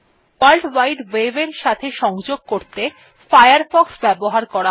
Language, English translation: Bengali, Firefox is used to access world wide web